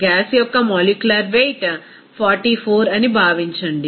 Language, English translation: Telugu, Assume that the molecular weight of the gas is 44